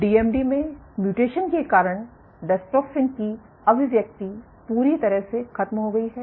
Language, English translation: Hindi, In DMD due to mutation dystrophin expression is completely gone